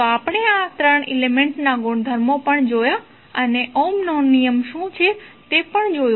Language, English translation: Gujarati, So, we also saw that the property of these 3 elements and also saw what is the Ohms law